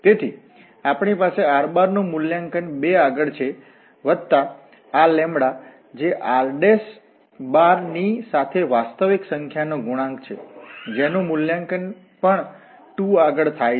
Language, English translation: Gujarati, So, we have the r evaluated at 2 plus this lambda, which is a real number times this r prime again evaluated at 2